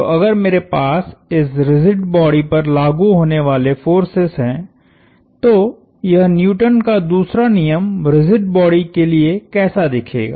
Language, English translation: Hindi, So, if I have forces acting on this rigid body, what would this law Newton's second law look like for the rigid body